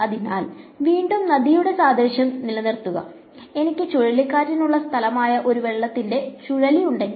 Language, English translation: Malayalam, So, again keeping with the river analogy, if I have a whirlpool of water that is a place where it is swirling